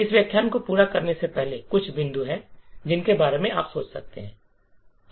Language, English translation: Hindi, So, before we complete this lecture there is some points that you can think about